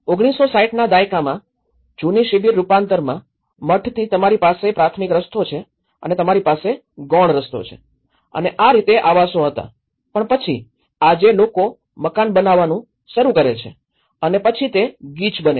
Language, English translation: Gujarati, In an old camp transformations in 1960s, you have the primary road and you have the secondary road and from the monastery and this is how the dwellings were but then today people start building up and then it becomes crowded